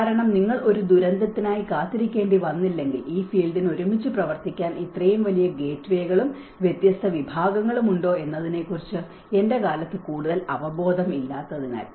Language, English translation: Malayalam, And because unless you may have to wait for a disaster because there is not much of awareness during my time whether this field has such a large gateways and different disciplines to work together